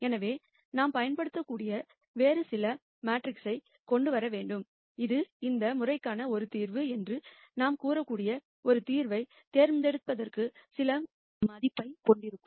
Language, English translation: Tamil, So, we need to bring some other metric that we could possibly use, which would have some value for us to pick one solution that we can say is a solution to this case